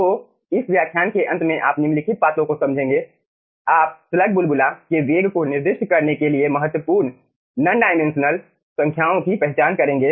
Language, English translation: Hindi, so at the end of this lecture you will be understanding the following points: you will identify the important non dimensional numbers to specify the velocity of the slug bubble